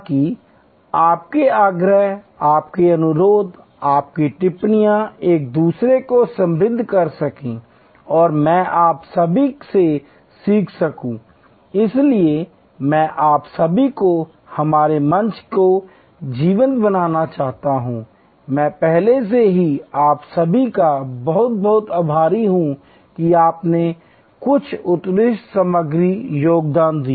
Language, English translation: Hindi, So, that your insides, your experiences, your observations can enrich each other and I can learn from all of you, so I would like all of you to make our forum lively, I am already very thankful to all of you for contributing some excellent material